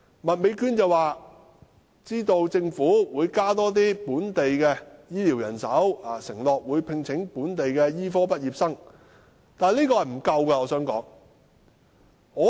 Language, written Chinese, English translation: Cantonese, 麥美娟議員說政府會增加本地的醫療人手，承諾會聘請本地的醫科畢業生，但我想說，這是不足夠的。, Ms Alice MAK said the Government will increase local health care manpower and is committed to employing local medical graduates . But I must say that this is not sufficient